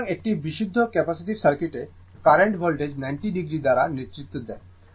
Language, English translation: Bengali, So, in purely capacitive circuit, the current leads the voltage by 90 degree